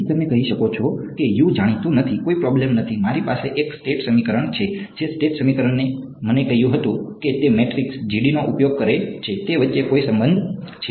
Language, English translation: Gujarati, So, you may say that U is not known no problem, I have a state equation that state equation told me that there is a relation between that use the matrix GD